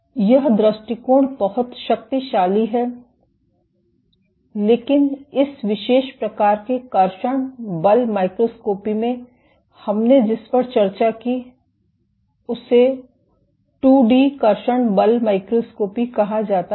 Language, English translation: Hindi, So, this approach is very powerful, but in this particular type of traction force microscopy that we discussed this is called the 2 D traction force microscopy